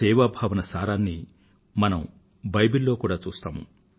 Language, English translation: Telugu, The essence of the spirit of service can be felt in the Bible too